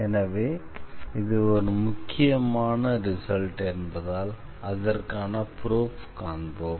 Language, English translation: Tamil, So, since this is a very important result we will also go through the proof of it